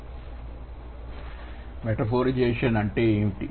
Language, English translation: Telugu, So, what is metaphorization